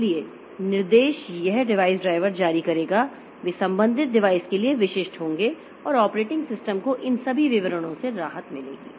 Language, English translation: Hindi, So, the commands it will, if the device driver will issue, they will be specific for the corresponding device and the operating system will be relieved from all these details